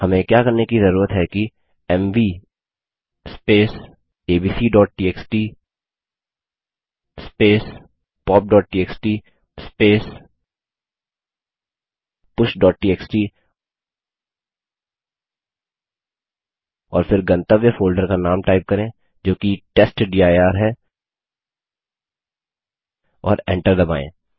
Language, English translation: Hindi, What we need to do is type mv space abc.txt pop.txt push.txt and then the name of the destination folder which is testdir and press enter